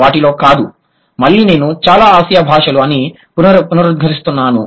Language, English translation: Telugu, Again, I'm using or I'm reiterating that most of the Asian languages, not all of them